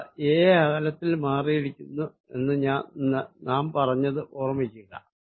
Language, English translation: Malayalam, Remember what we said, we said these are displaced by distance a